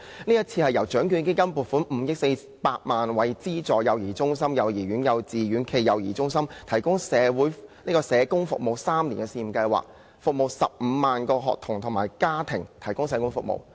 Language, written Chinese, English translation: Cantonese, 計劃是由獎券基金撥款5億400萬元，資助幼兒中心、幼兒園、幼稚園暨幼兒中心社工服務3年的試驗計劃，為15萬名學童及其家庭提供社工服務。, A funding of 504 million from the Lotteries Fund will be allocated to launch a three - year pilot scheme to provide social work services for about 150 000 children and their families in all aided child care centres kindergartens and kindergarten - cum - child care centres